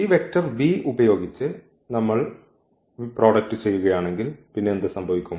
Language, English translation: Malayalam, So, we have this result minus 5 minus 1, but if we do this product with this vector v then what will happen